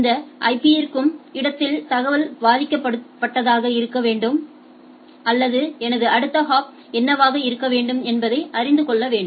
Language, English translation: Tamil, And it tries to find out that where this IP is there either the information should be victim or it should know that what should be my next hop right